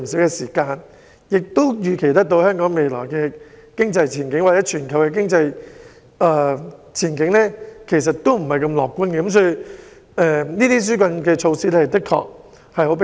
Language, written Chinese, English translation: Cantonese, 我甚至可以預期香港經濟前景或全球經濟前景均不太樂觀，所以這些紓困措施的確很迫切。, I can even foresee that the economic prospect of Hong Kong or the world is not at all bright and so such relief measures are indeed urgent